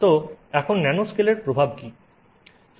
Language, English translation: Bengali, So, now what is the impact of nanoscale